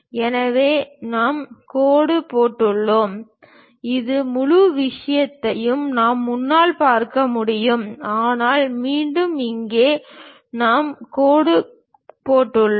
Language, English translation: Tamil, So, we have the dashed one and this entire thing we can not really see it from front; but again here we have dashed line